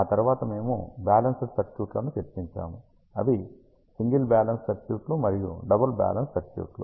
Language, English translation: Telugu, After that we discussed the balanced circuits, which are single balance circuits and ah double balance circuits